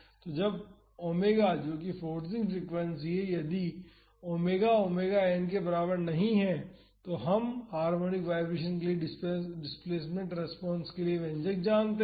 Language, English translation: Hindi, So, when omega that is the forcing frequency, if omega is not equal to omega n, then we know the expression for the displacement response for harmonic vibrations